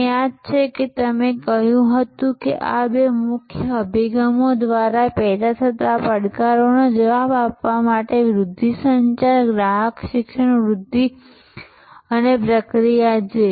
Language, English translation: Gujarati, You recall that you said that to respond to the challenges generated by these two major approaches are promotion communication customer education promotion and process